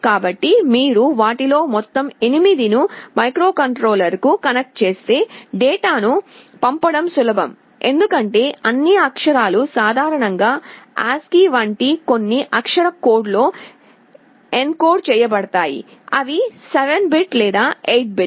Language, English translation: Telugu, So, if you connect all 8 of them to the microcontroller, it is easier to send the data, because all characters are typically encoded in some character code like ASCII, they are 7 bit or 8 bit